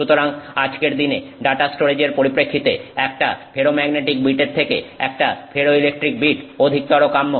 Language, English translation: Bengali, So, therefore from the perspective of data storage a ferroelectric bit is more desirable than a ferromagnetic bit as of today